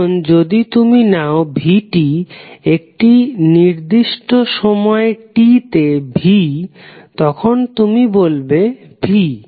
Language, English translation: Bengali, And if you take value minus V t, V at time at particular time t then you will say simply as V